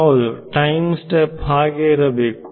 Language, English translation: Kannada, So, yeah, the time step has to be